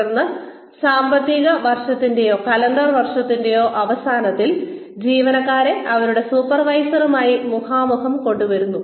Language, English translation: Malayalam, And then, at the end of that, either financial year or calendar year, employees are brought, face to face with their supervisors